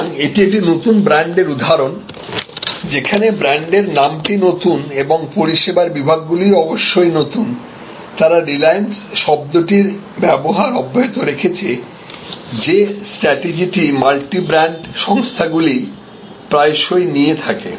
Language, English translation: Bengali, So, this is an example of a new brand, where the brand name is new and the service categories new of course, they continue to use reliance, which is often the tactics used by multi brand companies